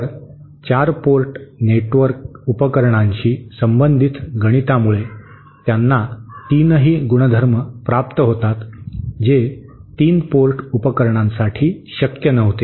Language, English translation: Marathi, So, the mathematics related to the 4 port devices permit them to have all the 3 properties which was not the case for 3 port devices